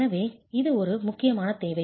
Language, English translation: Tamil, So this is an important requirement